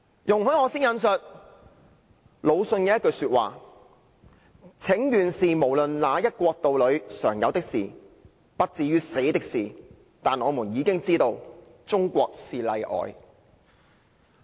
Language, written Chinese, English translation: Cantonese, 容許我先引述魯迅的一句話："請願雖然是無論哪一國度裏常有的事，不至於死的事，但我們已經知道中國是例外"。, Please allow me to quote a line of LU Xun and it reads Petitioning is common in every country an action which does not result in death . But China is an exception